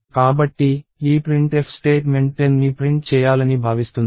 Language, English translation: Telugu, So, this printf statement is expected to print 10